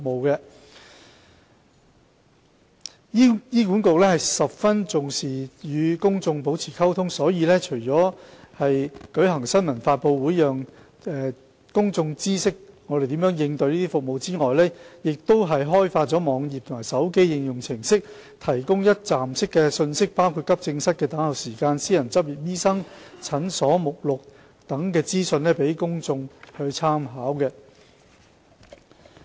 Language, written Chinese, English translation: Cantonese, 醫管局十分重視與公眾保持溝通，所以除舉行新聞發布會讓公眾知悉醫管局如何應付這些服務需求外，更開發了網頁和手機應用程式，提供一站式信息，包括急症室等候時間、私人執業醫生診所目錄等資訊予公眾參考。, HA attaches great importance to communication with the public . Press conferences are held to inform the public of its response to such service demand . Besides a website and a mobile application have been developed to serve as one - stop portals to provide information about the waiting time for AE service lists of private clinics etc